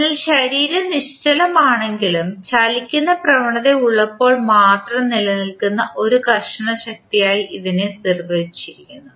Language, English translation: Malayalam, So, it is defined as a frictional force that exist only when the body is stationary but has a tendency of moving